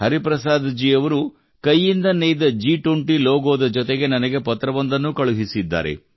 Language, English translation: Kannada, Hariprasad ji has also sent me a letter along with this handwoven G20 logo